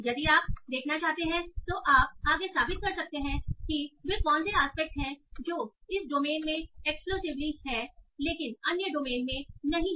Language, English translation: Hindi, You can further prove if you want by seeing what are the aspects that occur exclusively in this domain but not in other domain